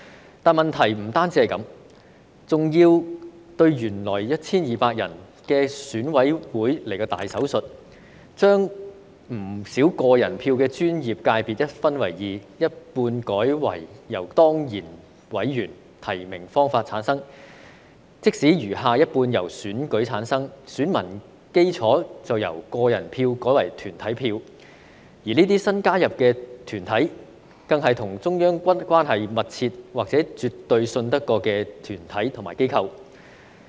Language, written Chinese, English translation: Cantonese, 不過，問題不單是這樣，還要對原來 1,200 人的選委會來個"大手術"，將不少個人票的專業界別分組一分為二，一半改為由當然委員或提名的方法產生，餘下一半則由選舉產生，但選民基礎就由個人票改為團體票，而這些新加入的團體，更是與中央關係密切或是絕對可信任的團體和機構。, Yet the problem is not only this but there is also a major operation on the original EC with 1 200 members . Many professional subsectors used to be elected by individual voters are divided in half one half to be returned by ex - officio members or nomination and the remaining half to be returned by election . Nonetheless the electorate is changed from individual voters to corporate voters whereas the newly added organizations are groups or organizations closely related to the Central Authorities or fully trusted by the Central Authorities